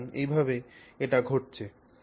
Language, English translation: Bengali, So that is the manner in which this is happening